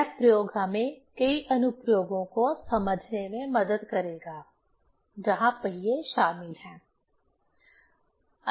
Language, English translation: Hindi, This experiment will help us to understand many applications where wheels are involved